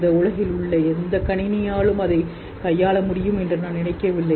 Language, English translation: Tamil, I don't think any computer in this world can handle that